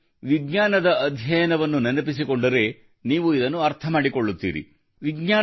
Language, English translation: Kannada, If you remember the study of science, you will understand its meaning